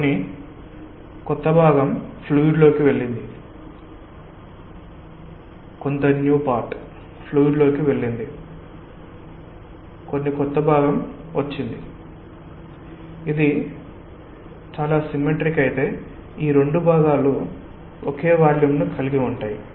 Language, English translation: Telugu, some new part has gone down in to the fluid, some new part has come up and if it is very symmetric, these two parts are of same volume